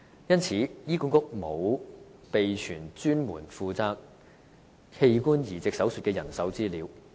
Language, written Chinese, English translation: Cantonese, 因此，醫管局沒有備存有關專門負責器官移植手術的人手資料。, For this reason HA does not have the information regarding the staff specializing in organ transplantation